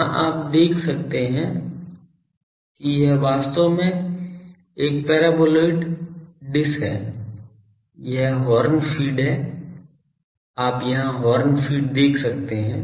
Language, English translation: Hindi, Here, you can see this is actually a paraboloid dish, this is the horn feed; you can see the horn feed here